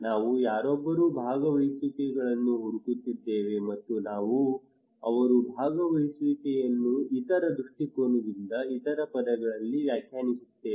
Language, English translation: Kannada, We are looking for someone’s participations and we are defining their participations in other perspective other terms